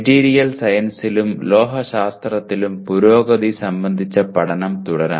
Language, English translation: Malayalam, To continue the study of advancement in material science and metallurgy